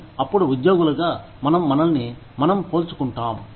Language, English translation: Telugu, But, then as employees, we tend to compare ourselves